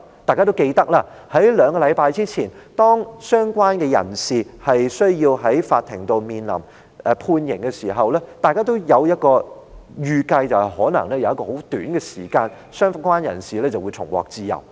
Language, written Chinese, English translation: Cantonese, 大家記得，在兩星期前，當相關人士在法庭面臨判刑時，大家也預計在一段短時間後，相關人士就會重獲自由。, As Members recall when the person concerned was awaiting sentencing in court two weeks ago we anticipated that he would be set free in a short period of time but how did Secretary LEE respond then?